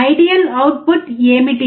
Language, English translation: Telugu, what is the ideal output